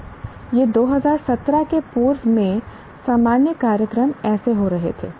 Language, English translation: Hindi, Now, this is how the general programs in pre 2017 were happening